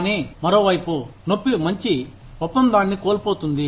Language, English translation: Telugu, But, on the other hand, the pain will be, loss of a good deal